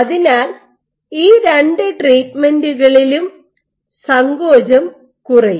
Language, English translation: Malayalam, So, in both these treatments your contractility should go down